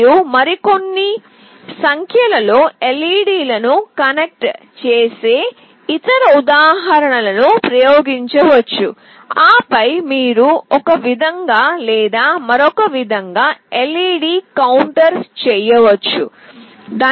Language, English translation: Telugu, You can try out other examples connecting a few more number of LED’s and then you can make a LED counter in some way or the other